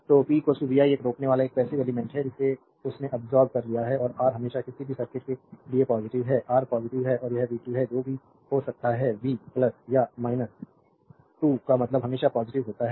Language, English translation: Hindi, So, p is equal to vi a resistor is a passive element it absorbed power, and R is always positive for any circuit you take R is positive, and it is v square whatever may be the v plus or minus is square means always positive